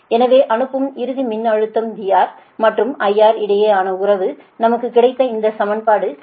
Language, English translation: Tamil, so relationship the sending end voltage here with v r and i r: we got this is equation fifteen